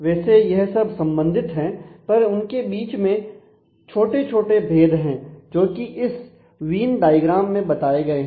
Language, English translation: Hindi, So, they are related, but they mean little bit different things as this venn diagram shows